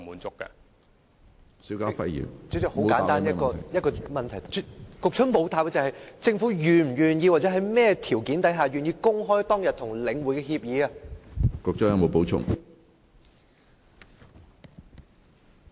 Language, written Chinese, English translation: Cantonese, 主席，很簡單一個問題，政府沒有答覆：政府是否願意，或在甚麼條件下願意公開當天與領匯的協議？, President a simple question . The Government has not answered if it is willing to publish the agreement entered into with The Link REIT in the past or under what conditions will it be willing to do so?